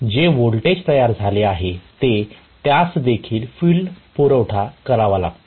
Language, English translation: Marathi, So, whatever is the generated voltage that itself has to give the field also a supply